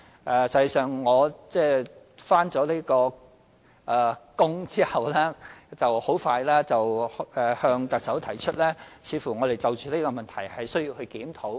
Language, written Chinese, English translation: Cantonese, 實際上，我履任後不久即向特首提出，我們需要就着這個問題進行檢討。, In fact shortly after I took up office I already brought to the attention of the Chief Executive the need to conduct a review of this issue